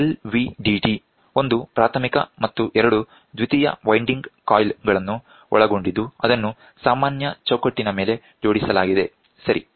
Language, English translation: Kannada, The LVDT comprises of a primary this is primary and two secondary winding coils; that are mounted on a common frame, ok